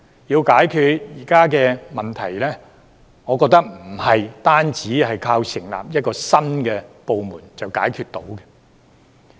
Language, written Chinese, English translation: Cantonese, 要解決現時的問題，我覺得不是單靠成立一個新部門便可解決。, I do not think that the existing problems can simply be resolved by setting up a new department